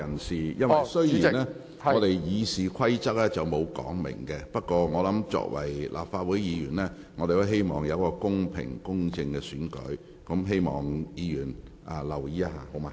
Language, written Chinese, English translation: Cantonese, 雖然《議事規則》並無相關規定，但作為立法會議員，我們都希望選舉公平、公正。, Although the Rules of Procedure has no such requirements as Members of the Legislative Council we all wish to see the election being held in a fair and impartial manner